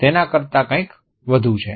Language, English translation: Gujarati, There is something more